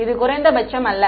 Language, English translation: Tamil, It is not minimum right